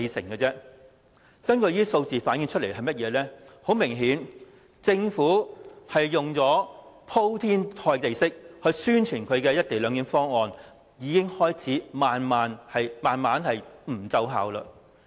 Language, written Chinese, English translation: Cantonese, 以上數字明確反映，政府使用鋪天蓋地式宣傳的"一地兩檢"方案，已經開始慢慢不奏效。, The above figures have clearly indicated that the effects of the extensive promotion of the co - location arrangement by the Government have started to diminish